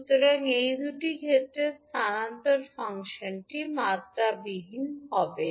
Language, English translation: Bengali, So, for these two cases the transfer function will be dimensionless